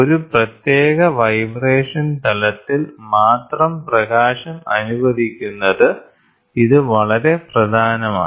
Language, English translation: Malayalam, So, allowing only light of a particular vibration plane, this is very important